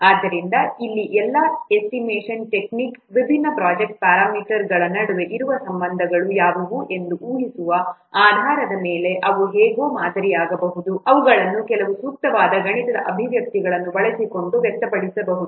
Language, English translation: Kannada, So, this technique assumes that the relationship which exists among the different project parameters can be satisfactorily modeled using some mathematical expressions